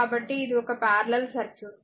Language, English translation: Telugu, So, this is the equivalent circuit